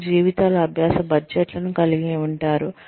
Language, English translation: Telugu, They could have, lifelong learning budgets